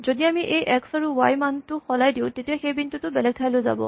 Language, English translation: Assamese, And if we change this x and y value, then the point shifts around from one place to another